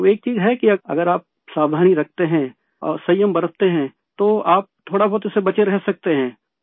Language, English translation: Urdu, And there is one thing that, if you are careful and observe caution you can avoid it to an extent